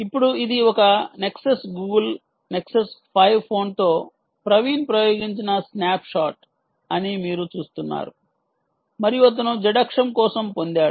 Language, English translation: Telugu, now, you see, ah, this is a snapshot which praveen has actually experimented with the nexus, google nexus five phone and this is what he got on the ah for the zed axis